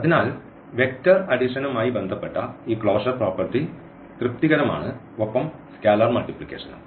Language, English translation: Malayalam, So, this closure property with respect to vector addition is satisfied and also for the scalar multiplication